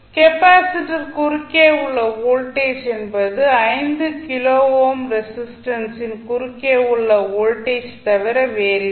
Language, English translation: Tamil, The voltage across capacitor is nothing but voltage across the 5 kilo ohm resistance